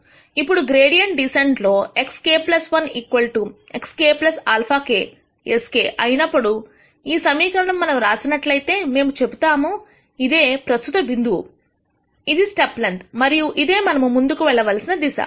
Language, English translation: Telugu, Now, in gradient descent we wrote this equation where we had x k plus 1 equals x k plus alpha k sk, we said this is the current point, this is the step length and this is the direction in which we should move